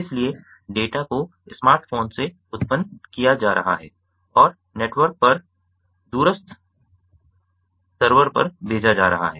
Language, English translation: Hindi, so the data is being generated from a smartphone and being sent to a remote server over the network